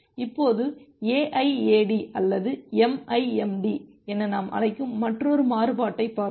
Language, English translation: Tamil, Now, let us look into another variant which we call as the AIAD or MIMD